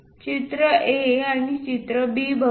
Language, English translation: Marathi, Let us look at picture A and picture B